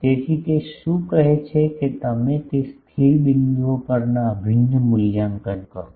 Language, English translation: Gujarati, So, what it says that you evaluate the integral on those stationary points